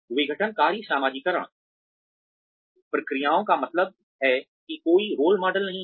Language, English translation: Hindi, Disjunctive socialization processes means that, there are no role models